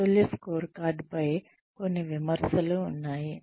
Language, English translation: Telugu, There are some criticisms of the balanced scorecard